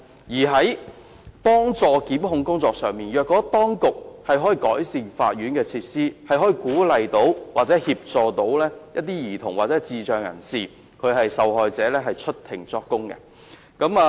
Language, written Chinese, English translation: Cantonese, 在幫助檢控工作上，當局可改善法院設施，以鼓勵或協助兒童或智障人士受害者出庭作供。, To facilitate prosecution the authorities can improve court facilities to encourage or help victims who are children or who are intellectually disabled testify in court